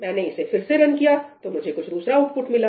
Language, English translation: Hindi, I run it again, I get some other output